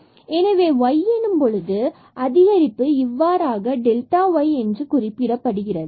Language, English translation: Tamil, So, there will be an increment in y that is denoted by delta y